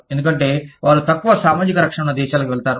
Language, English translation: Telugu, Because, they go to countries, where there are lower social protections